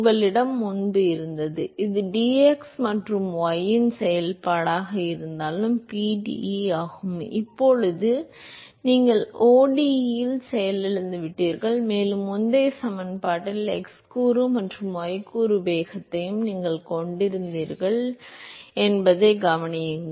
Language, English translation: Tamil, What you had earlier was the a pde which was the function of x and y, and now you crashed into an ODE and note that you also had the x component and the y component velocity in the previous equation